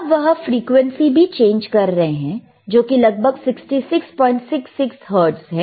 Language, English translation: Hindi, And he is changing the frequency, which is about 66